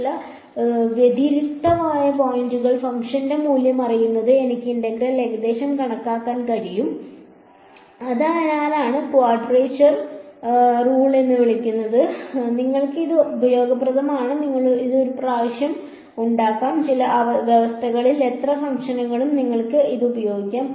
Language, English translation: Malayalam, Knowing the value of the function at a few discrete points I am able to approximate the integral, that is why this so, called quadrature rule is so, useful you make it once, you can use it for any number of functions under certain conditions